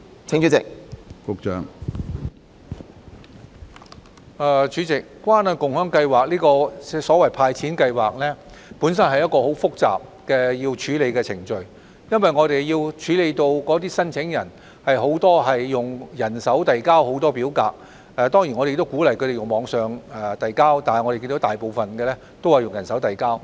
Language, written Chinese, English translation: Cantonese, 主席，關愛共享計劃這項所謂"派錢"計劃，本身是一項很複雜的處理程序，因為我們要處理的申請人有很多是用人手遞交表格，當然我們亦鼓勵他們在網上遞交，但我們看到大部分是用人手遞交。, President the so - called cash handout of the Caring and Sharing Scheme is a very complicated process per se since many of the application forms processed by us were submitted by hand . Certainly we also encourage applicants to submit applications online but we see that most applications were submitted by hand